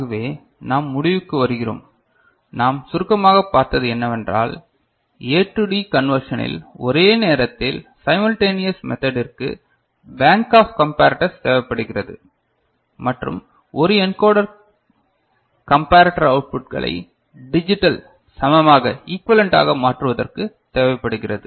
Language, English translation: Tamil, So, with this we conclude what we have seen very briefly that simultaneous method of A to D conversion requires a bank of comparators and an encoder to convert the comparator outputs to it is digital equivalent ok